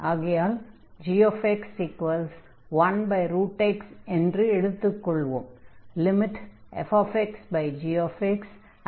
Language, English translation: Tamil, And now we got this function g x